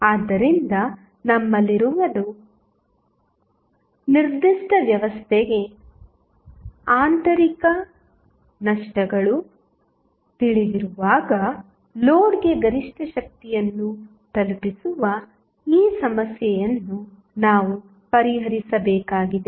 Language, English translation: Kannada, So, what we have, we have to do we have to address this problem of delivering the maximum power to the load when internal losses are known for the given system